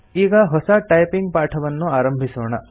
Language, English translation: Kannada, Lets begin a new typing session